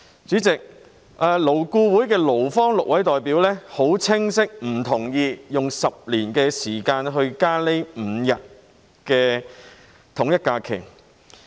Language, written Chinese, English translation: Cantonese, 主席，勞工顧問委員會的6位勞方代表已很清晰的表明，不同意用10年時間增加5天以便統一假期。, Chairman six employee representatives of the Labour Advisory Board clearly indicated that they did not agree to increasing five additional holidays in 10 years to align the holidays